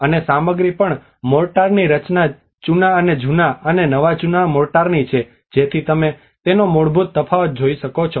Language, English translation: Gujarati, And also the material the composition of mortar the lime and the old and new lime mortar so one can see that the basic fundamental difference of it